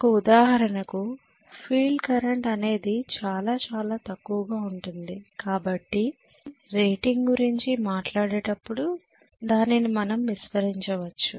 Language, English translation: Telugu, For example, but the field current is going to be really really small because of which we can kind of neglect it when we talk about the rating that is the way we look at it